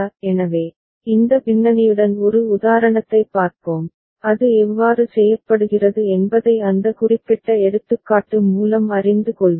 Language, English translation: Tamil, So, with this background let us see an example and learn through that particular example how it is done